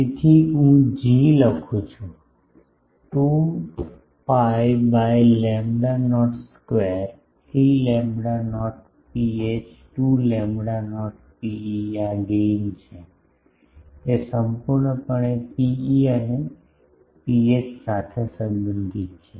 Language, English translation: Gujarati, So, I am writing G is 2 pi by lambda not square, 3 lambda not rho h 2 lambda not rho e this is gain is completely related to rho e and rho h